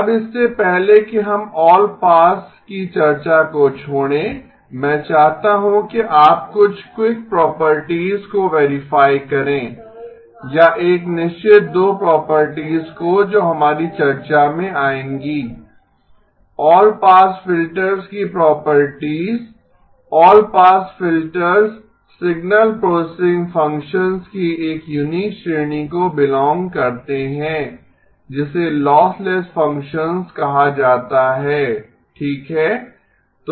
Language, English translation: Hindi, Now before we leave the discussion of allpass, a couple of quick properties I would like you to verify or a certain two properties which come to play in our discussion, properties of all pass filters, all pass filters belong to a unique category of signal processing functions which are called lossless functions okay